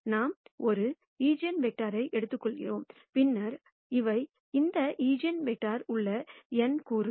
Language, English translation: Tamil, We are just taking one eigenvector nu and then these are the n components in that eigenvector